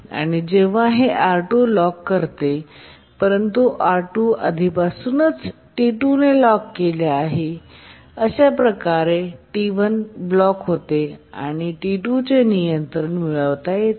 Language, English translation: Marathi, And when it locks R2, R2 has already been locked by T1 and therefore, sorry, R2 has already been locked by T2 and therefore T1 blocks